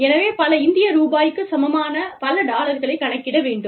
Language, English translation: Tamil, So, you say, so many dollars, equivalent to, so many Indian rupees